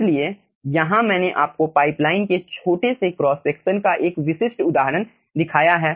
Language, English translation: Hindi, so here i have shown you a typical example of a small cross section of the pipeline